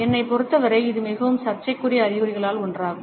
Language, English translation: Tamil, For me this one is one of the most controversial signs